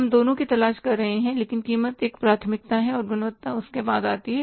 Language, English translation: Hindi, We are looking for both but price is the priority and the quality comes after that